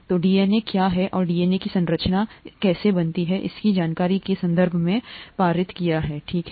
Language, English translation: Hindi, So how is, what is DNA and how , how does the structure of the DNA make it possible for information to be passed on, okay